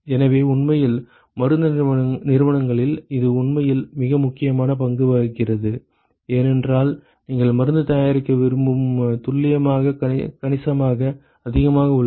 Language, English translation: Tamil, So, really in pharmaceutical companies it actually plays a very critical role, because the precision with which you want to make the drug is significantly higher